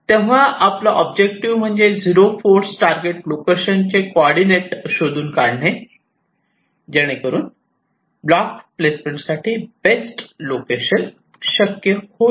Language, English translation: Marathi, so our objective is to find out the coordinate of the zero force target location so that we can decide which is the best location to place that block